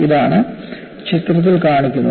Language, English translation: Malayalam, And you can see that in the picture